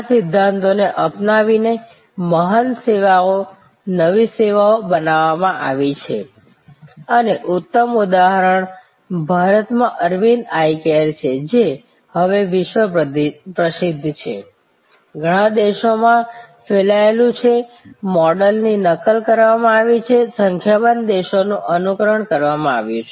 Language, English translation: Gujarati, Adopting these principles, great services new services have been created and excellent example is Aravind Eye Care in India, world famous now, spread to many countries, the model has been replicated, an emulated number of countries